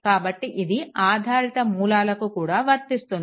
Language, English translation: Telugu, Now, it is true also for dependent sources